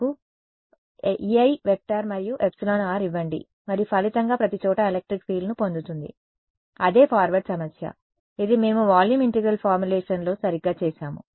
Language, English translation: Telugu, Give me E i and epsilon r right and give and as a result obtain electric field everywhere that is what the forward problem, which is what we did in the volume integral formulation right